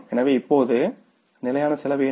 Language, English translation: Tamil, So, what is the fixed cost now